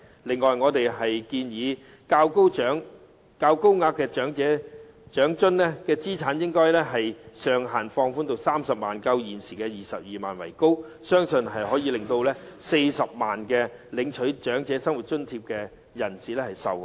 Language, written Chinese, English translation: Cantonese, 此外，我們建議將高額長生津的資產上限放寬至30萬元，較現時的22萬元為高，相信可以令現時領取長生津的40多萬人受惠。, Besides we suggest relaxing the asset limit for the tier of higher OALA payment to 300,000 higher than the existing limit of 220,000 . I believe it will benefit the current 400 000 - odd recipients of OALA